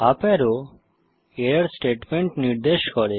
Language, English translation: Bengali, The up arrow points to the error statement